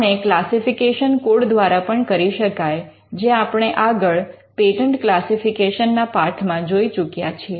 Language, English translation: Gujarati, This can also be done by using the classification code; which is something which we have covered in the lesson on patent classification